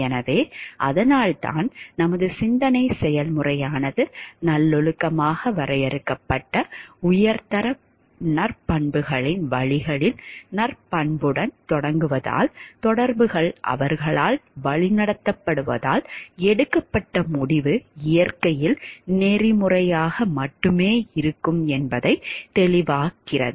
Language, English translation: Tamil, So, and that is why because our thought process starts with virtuous in a virtuous defined ways of high quality virtues and the interactions are guided by them, then it is evident like the decision taken will be ethical in nature only